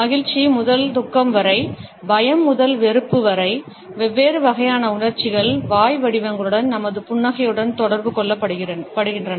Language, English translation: Tamil, From happiness to sorrow, from fear to disgust, different type of emotions are communicated with the shapes of mouth and our smiles